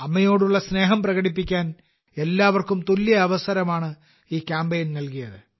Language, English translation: Malayalam, This campaign has provided all of us with an equal opportunity to express affection towards mothers